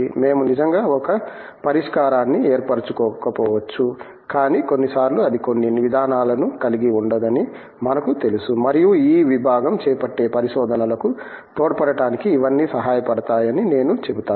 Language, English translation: Telugu, It may not be that we really form a solution but, we even sometimes know that is certain approach cannot be had and I would say that all these help in contributing towards a research that the department undertakes